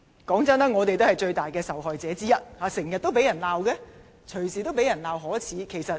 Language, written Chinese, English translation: Cantonese, 坦白說，我們也是最大的受害者之一，經常被責罵，隨時被責罵可耻。, Frankly speaking we are also major victims as we have always been reprimanded and they can reprimand us for being shameless anytime they wish